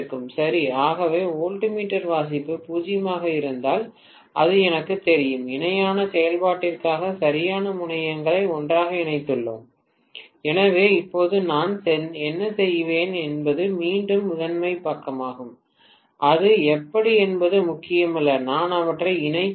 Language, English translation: Tamil, Right So, if I get the voltmeter reading to be 0, then I know for sure that I have tied up the correct terminals together for parallel operation, so, what I will do now is primary side again it doesn’t matter how, I connect them